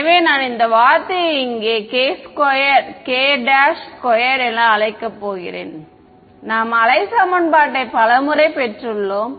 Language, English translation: Tamil, So, I am going to call this term over here as k prime squared we have derive wave equation many times